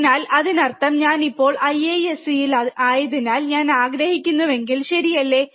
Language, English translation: Malayalam, So, that means, that if I want to so, since I am right now in IISC, right